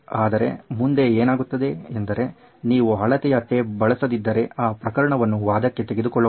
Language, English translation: Kannada, Now what happens is the following if you don’t use the measuring tape, let’s take that case for arguments sake